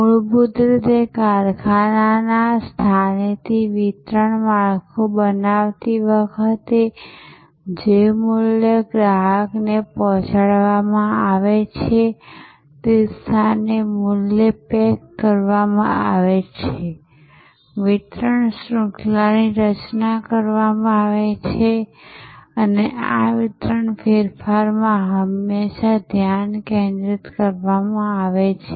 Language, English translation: Gujarati, Fundamentally, in creating a distribution structure from the factory or from the place, where the value is packaged to the place where the value is delivered to the customer, constituted the so called delivery chain and in this delivery change, the focus is always been on reducing transaction cost